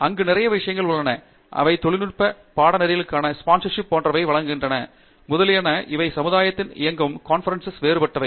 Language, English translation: Tamil, There is lot of things there, they will give something called Technical course sponsorship etcetera, etcetera those are different from the conferences that the society itself runs